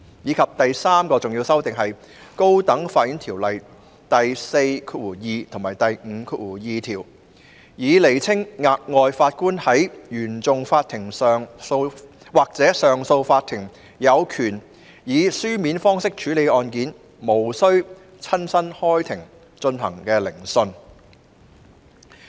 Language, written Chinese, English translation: Cantonese, 至於第三項重要修訂，是修訂《條例》第42條及第52條，以釐清額外法官在原訟法庭或上訴法庭有權以書面方式處理案件，無須親身開庭進行的聆訊。, As regards the third important amendment it is to amend sections 42 and 52 of the Ordinance to clarify that an additional judge in CFI or CA has the power to dispose of cases on paper without physically sitting in court